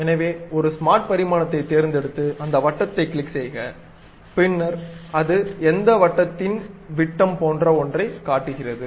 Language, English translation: Tamil, So, pick smart dimension, click that circle, then it shows something like diameter of that circle